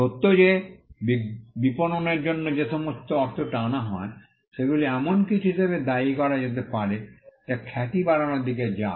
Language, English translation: Bengali, The fact that, all the money that is pulled in for marketing can now be attributed as something that goes towards building the reputation